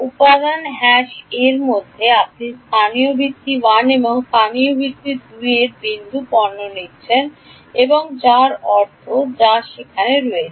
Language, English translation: Bengali, Within element #a, you are taking the dot product of local basis 1 and local basis 2 that is the meaning that is the that is all there is